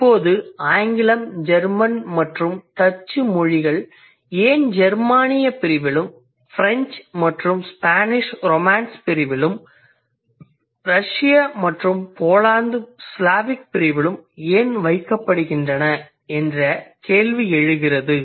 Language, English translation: Tamil, So then the question arises why English, German and Dutch they are put in the Germany category, French and Spanish are in the Romans category and Russian and Polish in the Slavic category